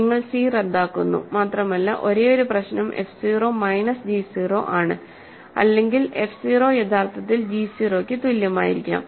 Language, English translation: Malayalam, So, you cancel c, and only issue would be that maybe f 0 is minus g 0 or f f 0 is equal to actually equal to g 0